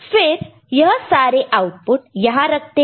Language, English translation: Hindi, And, then these outputs are put over here